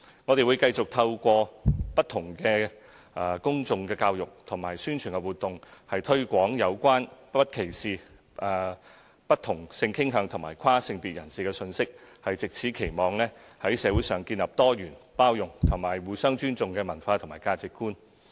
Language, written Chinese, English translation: Cantonese, 我們會繼續透過不同的公眾教育及宣傳活動，推廣有關不歧視不同性傾向及跨性別人士的信息，藉此期望在社會上建立多元、包容及互相尊重的文化和價值觀。, We will continue to promote the message of non - discrimination against people of different sexual orientations and transgenders with a view to nurturing a culture and value of diversity tolerance and mutual respect in society